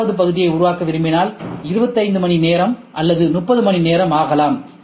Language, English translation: Tamil, So, now if I want to make 5, it might take 25 hours that is all or 30 hours